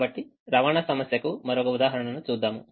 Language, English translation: Telugu, so we look at another example of a transportation problem